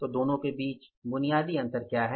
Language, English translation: Hindi, So, what is the basic difference between the two